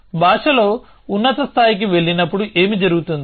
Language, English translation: Telugu, So, what happens when you go to higher levels of language